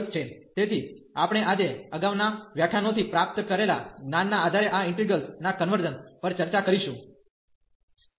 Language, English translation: Gujarati, So, we will be discussing today the convergence of these integrals based on the knowledge we have received from earlier lectures